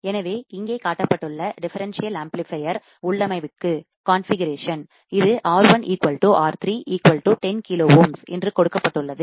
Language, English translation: Tamil, So, for the differential amplifier configuration shown here; it is given that R1 equals to R3 equals to 10 kilo ohms